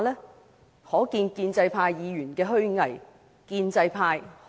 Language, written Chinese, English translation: Cantonese, 由此可見建制派議員的虛偽。, It has revealed the hypocrisy of the pro - establishment Members